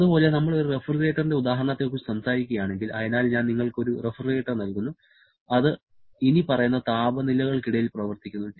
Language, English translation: Malayalam, Similarly, if we talk about the example of a refrigerator, so I give you refrigerator which is operating between the temperatures